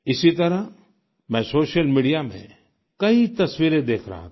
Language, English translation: Hindi, Similarly I was observing numerous photographs on social media